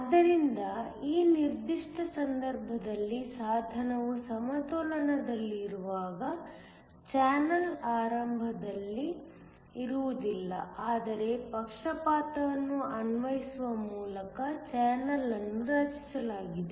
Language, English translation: Kannada, So, in this particular case the channel is not there initially when the device is in equilibrium, but the channel is created by applying a bias